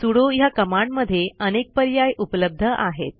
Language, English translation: Marathi, The sudo command has many options